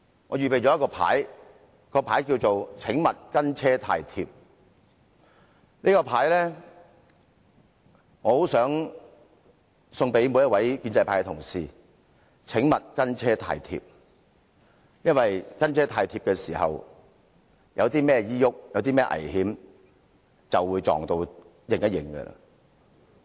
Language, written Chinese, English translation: Cantonese, 我想把這個牌送給所有建制派議員，提醒他們"請勿跟車太貼"，如果因為"跟車太貼"而遇上任何意外或危險，後果將會非常嚴重。, I wish to present the placard to all pro - establishment Members to remind them not to stay too close behind the Government for if they run into any accident or danger and the consequences may be very serious